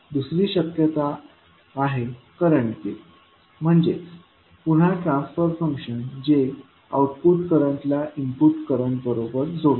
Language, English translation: Marathi, Next is current gain that is again the transfer function which correlates the output current with input current